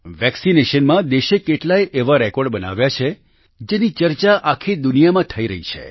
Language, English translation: Gujarati, With regards to Vaccination, the country has made many such records which are being talked about the world over